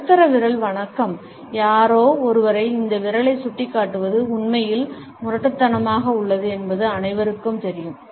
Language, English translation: Tamil, The middle finger salute, everybody knows that pointing this finger at somebody is really rude